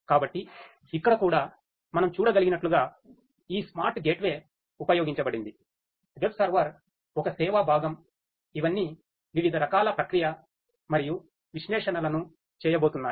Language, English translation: Telugu, So, here also as we can see there is this smart gateway that is used, the web server, a service component all of these are going to do different types of processing and analytics